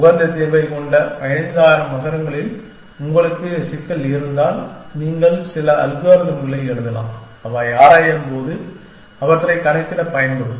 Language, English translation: Tamil, If you have a problem of 15000 cities for with the optimal solution is known then, you can write some algorithm that will be used to calculate them when it exploring